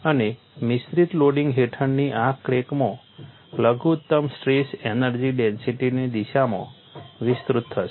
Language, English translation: Gujarati, And in this crack under mixed loading will extend in the direction of minimum strain energy density